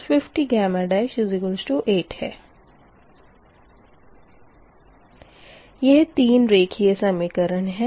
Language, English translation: Hindi, so these three equation, linear equations